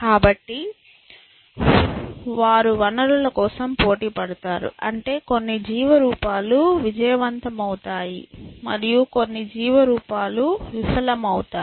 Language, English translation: Telugu, So, they compete for resources which mean that, some life forms succeeds and some life forms fails essentially